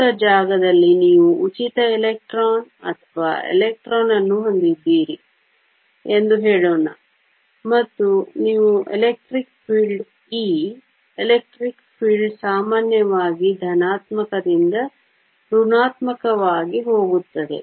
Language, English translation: Kannada, Let us say you have a free electron or an electron in free space and you apply in electric field E, electric field usually goes from positive to negative